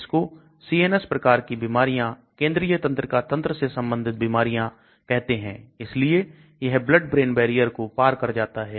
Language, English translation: Hindi, It is called CNS types of disorders, central nervous system related disease, so it has to cross the blood brain barrier